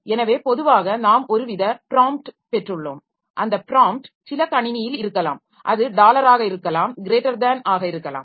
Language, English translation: Tamil, So normally we have got some sort of a prompt and that prompt may be in some system it may be dollar, it may be greater than